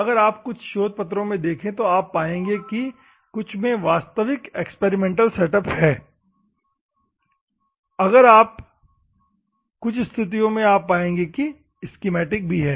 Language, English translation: Hindi, Some of the research papers if you see there is original experimental setup are there; in some cases, you can see the schematics also there